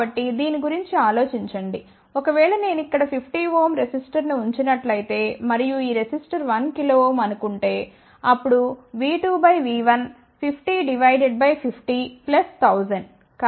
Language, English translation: Telugu, So, think about it if I put a 50 ohm, resistor over here and if this resistor is suppose one kilo ohm, then what will be V 2 by V 1 50 divided by 50 plus 1,000